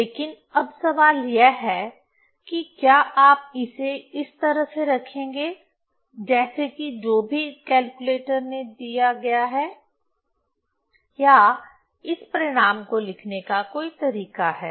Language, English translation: Hindi, But now question is whether you will keep this just like this, whatever calculator is given or there are some procedure how to write this this result